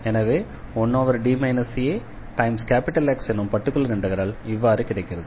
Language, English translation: Tamil, So, the integral of this 1 dx will be just x